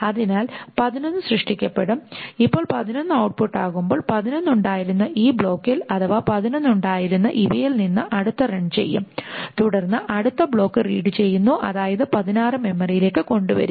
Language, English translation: Malayalam, Now as soon as 11 is output, the next one from this block which had 11, next one from the run which had 11, the next block will be read, which means 16 will be brought into memory